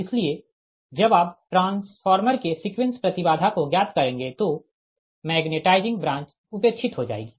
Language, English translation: Hindi, so when you will find out the sequence impedance is of the transformer, that magnetizing branch will be your neglected